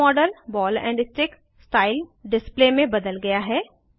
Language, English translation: Hindi, The model is now converted to ball and stick style display